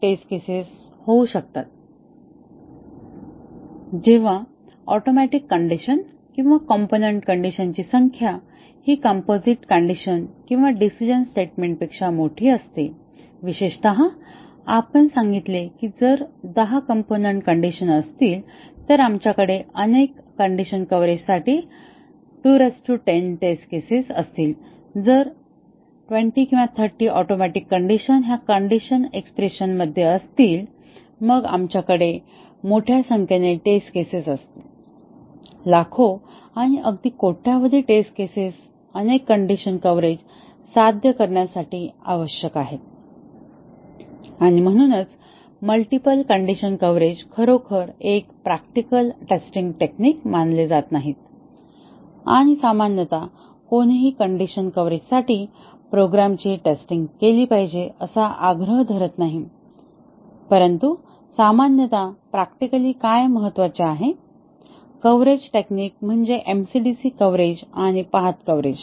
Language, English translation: Marathi, When the number of atomic conditions or component condition in a composite condition or a decision statement is large, specifically we said that if there are ten component conditions, we will have 2 to the power 10 test cases required for multiple condition coverage and if there are 20 or 30 atomic conditions in a conditional expressions, then we will have a huge number of test cases, millions and even billions of test cases required to achieve multiple condition coverage and therefore, the multiple condition coverage is not really considered a practical testing techniques and normally, no one insists that a program should be tested to achieve multiple condition coverage, but what normally is practically important, coverage techniques are the MCDC coverage and the path coverage